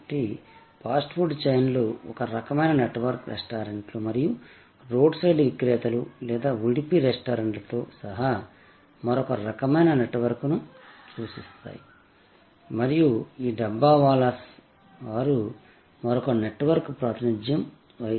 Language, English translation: Telugu, So, fast food chains represent a kind of network, the restaurants and road side vendors or another kind of networks including the udupi restaurant and so on and this Dabbawalas they represent another network